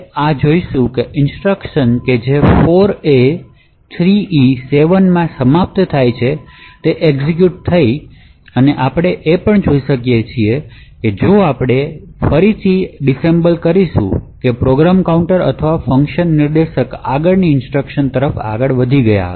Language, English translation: Gujarati, So it says that this instruction which ends in 4a3e7 has executed and we could also see if we disassemble again that the program counter or the instruction pointer has moved to the next instruction